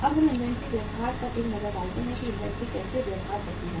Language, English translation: Hindi, Now let us have a look upon the inventory behaviour, how inventory behaves